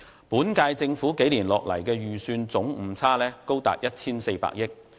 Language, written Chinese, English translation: Cantonese, 本屆政府數年下來的預算總誤差高達 1,400 億元。, In the few years under this Government there has been a cumulative inaccuracy of 140 billion in the calculation of its fiscal reserves